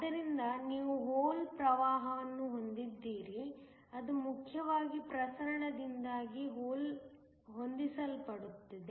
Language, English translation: Kannada, So, you have a hole current that is set up a mainly due to diffusion